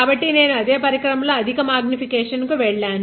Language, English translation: Telugu, So, I have gone to a high higher magnification on the same device